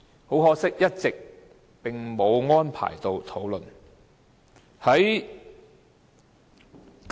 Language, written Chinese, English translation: Cantonese, 很可惜，這議題一直並無安排討論。, To our regret no discussion on this issue was arranged